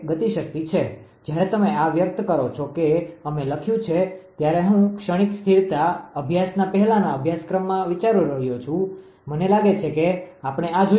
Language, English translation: Gujarati, When you express this we have written, I think in the previous course ah in transient ah stability studies, I think we have seen this one